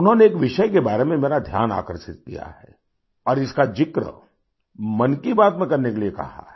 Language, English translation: Hindi, She has drawn my attention to a subject and urged me to mention it in 'Man kiBaat'